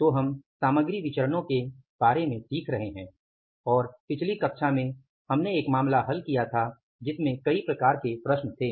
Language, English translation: Hindi, So, we are learning about the material variances and in the previous class we solved a case which had multiple type of the problems